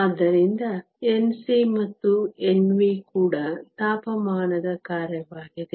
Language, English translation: Kannada, So, N c and N v are also a function of temperature